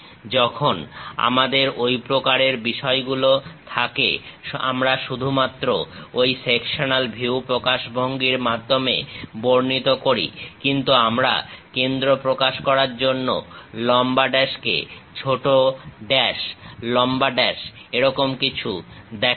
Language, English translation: Bengali, When we have such kind of thing, we will represent only that sectional view representation; but we we do not show, we do not show anything like long dash, short dash, long dash to represent center